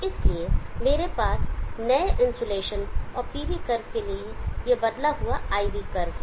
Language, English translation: Hindi, So I have this IV curve changed IV curve for the new insulation and the PV curve